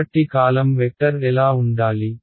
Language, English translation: Telugu, So what should the column vector be